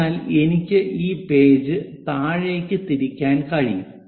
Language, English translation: Malayalam, So, that I can flip this page all the way downward direction